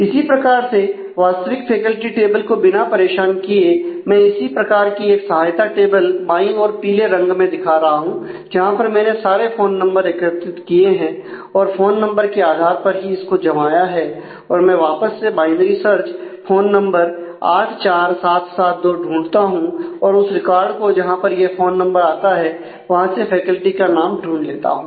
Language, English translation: Hindi, Similarly, without disturbing the actual faculty table I can build a similar kind of supportive table on the right the yellow one where I collect all the phone numbers and I have sorted on the phone numbers I can again do binary search on the phone number 84772 and find the phone number find the record number where this phone number occurs and go and find the name of the faculty